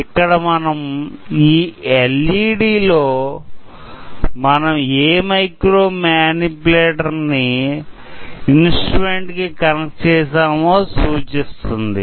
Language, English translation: Telugu, So, you can see a LED here which will show you which micro manipulator, we have connected to the instrument now